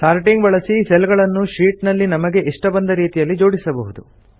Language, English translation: Kannada, Sorting arranges the visible cells on the sheet in any desired manner